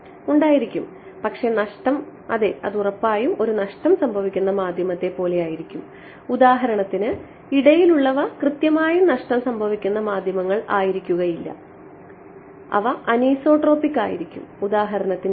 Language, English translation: Malayalam, Yeah, but the loss yeah it will be exactly like a lossy medium, but for example, the intermediate once they will not be purely lossy medium they will anisotropic for example, here